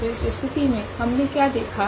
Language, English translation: Hindi, So, what do you observe in this case